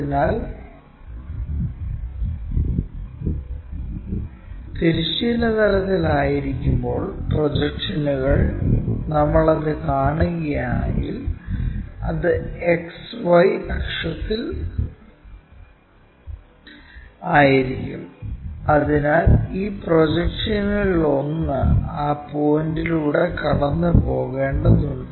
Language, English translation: Malayalam, So, when it is in horizontal plane, the projections, if we are seeing that, it will be on XY axis, so one of these projections has to pass through that point